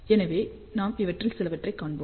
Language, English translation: Tamil, So, we will see some of these things as we move forward